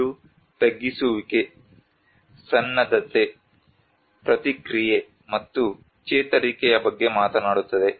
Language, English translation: Kannada, It talks about mitigation, preparedness, response, and recovery